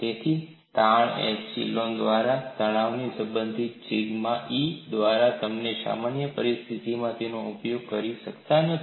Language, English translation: Gujarati, So, strain is related to stress by epsilon equal to sigma by e you cannot use that in a generic situation